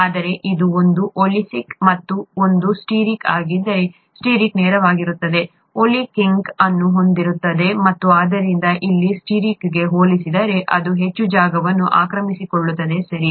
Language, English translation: Kannada, Whereas, if it is one oleic and one stearic, the stearic is going to be straight, the oleic is going to have a kink, and therefore it is going to occupy more space compared to stearic here, okay